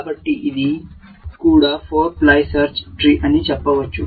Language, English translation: Telugu, So, let us say, this is also a 4 ply search tree